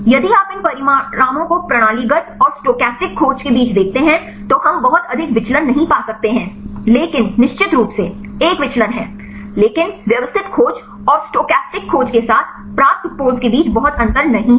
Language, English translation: Hindi, If you look into these results between systemic and stochastic search right we cannot find much deviation, but of course, there is a deviation, but not much difference between the poses obtained with systematic search and the stochastic search